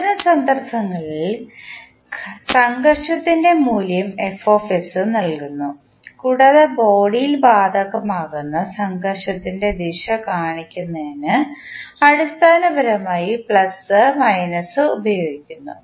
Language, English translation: Malayalam, In that case the value of friction is given by Fs, plus minus is basically used to show the direction of the friction which will be applicable in the body